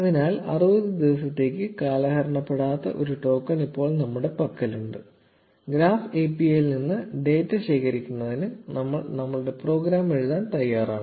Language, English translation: Malayalam, So, now that we have a token that does not expire for 60 days, we are all set to write our program to collect data from the Graph API